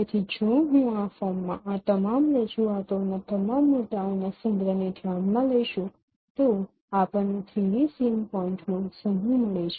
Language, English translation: Gujarati, So if I consider a collection of all these points in this representation in this form then we get a set of 3D sync points